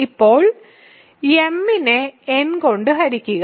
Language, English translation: Malayalam, Now, divide m by n